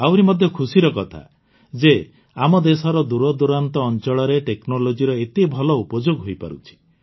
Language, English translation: Odia, And it is a matter of joy that such a good use of technology is being made even in the farflung areas of our country